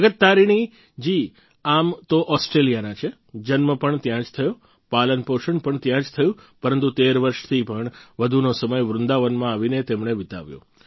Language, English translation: Gujarati, Jagat Tarini ji is actually an Australian…born and brought up there, but she came to Vrindavan and spent more than 13 years here